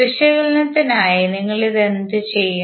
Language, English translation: Malayalam, So, for our analysis what we will do